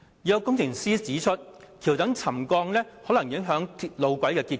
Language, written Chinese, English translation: Cantonese, 有工程師指出，橋躉沉降可能影響路軌的結構。, Some engineers have pointed out that pier settlement might affect the structure of the tracks